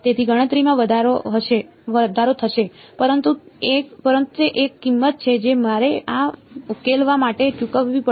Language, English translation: Gujarati, So, computation is going to increase, but that is a price that I have to pay for solving this